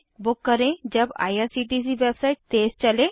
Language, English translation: Hindi, Book when the IRCTC websie is fast